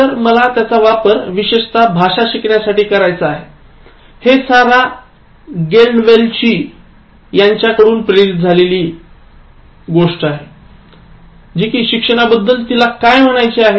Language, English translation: Marathi, So, I want to use it for learning language in particular, this is from Sarah Galdwell, what has she to say about learning